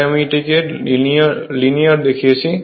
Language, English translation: Bengali, So, I showed you the linear portion